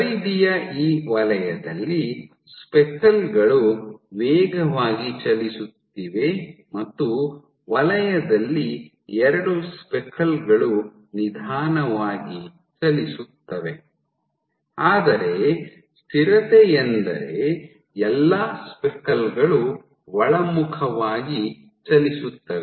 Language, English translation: Kannada, There is this zone at the periphery zone one speckles are fast moving and zone two speckles are slow moving, but consistency is all the speckles tend to moves inward